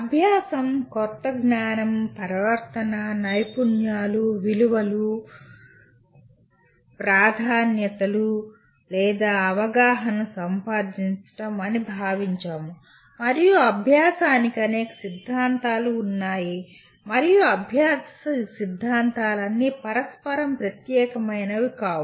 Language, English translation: Telugu, We considered learning is acquiring new knowledge, behavior, skills, values, preferences or understanding and there are several theories of learning and it should be pointed out all the theories of learning are not mutually exclusive